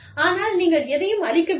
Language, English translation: Tamil, But, you are not out, to destroy anything